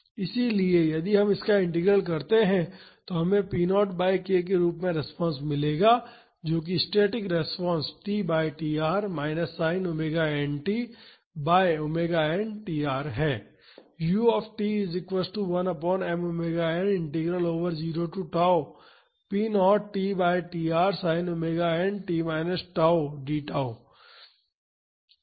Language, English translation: Hindi, So, if we carry out this integral we would get the response as p naught by k that is the static response t by tr minus sin omega nt by omega n tr